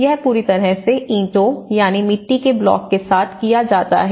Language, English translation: Hindi, This is completely done with the bricks, you know with the mud blocks